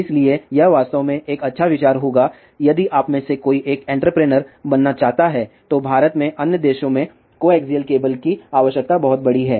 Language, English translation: Hindi, So, it would be a really good idea if any one of you wants to become an entrepreneur, the coaxial cable requirement in India is huge and in the other countries